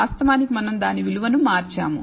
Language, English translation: Telugu, Of course, we have being shifted that value